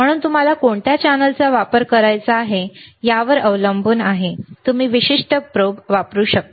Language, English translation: Marathi, So, depending on what channel, you want to use, you can use the particular probe